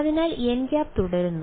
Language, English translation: Malayalam, So, n hat continues to be